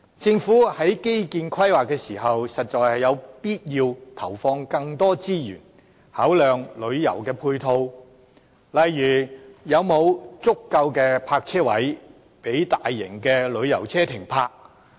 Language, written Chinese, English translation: Cantonese, 政府在規劃基建時，實在有必要投放更多資源，考量旅遊配套，例如有否足夠的泊車位予大型旅遊車停泊。, During infrastructural planning it is necessary for the Government to allocate more resources and take tourism supporting facilities into the consideration such as whether sufficient parking spaces are available for large tourist coaches